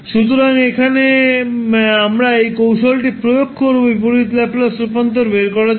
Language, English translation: Bengali, So, here we will apply those technique to find out the inverse Laplace transform